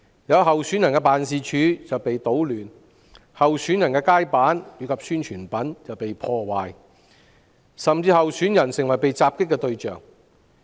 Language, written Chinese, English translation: Cantonese, 有候選人的辦事處被搗亂，也有候選人的街板及宣傳品被破壞，甚至有候選人成為被襲擊的對象。, The offices of some candidates have been vandalized the street boards and publicity materials of some candidates have been damaged and some candidates have even become targets of attacks